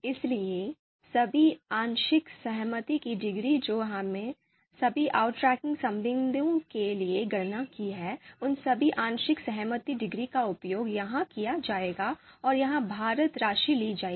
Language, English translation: Hindi, So all the partial concordance degree that we might have you know computed for all the you know outranking relations, so all those you know partial concordance degrees are going to be used exploited here and a weighted sum is going to be taken